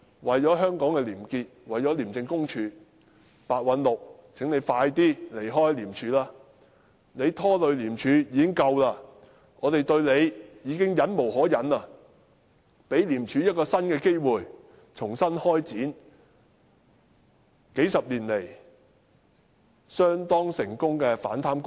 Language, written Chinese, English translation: Cantonese, 為了香港的廉潔和廉署，請白韞六盡早離開廉署，他拖累廉署已拖累得夠了，我們對他已忍無可忍，請給予廉署一個新機會，重新開展數十年來相當成功的反貪工作。, He has burdened ICAC to an extent that is already bad enough . We cannot bear with him any longer . Please give ICAC a new chance to embark on afresh its anti - corruption work which has been quite successful over the past few decades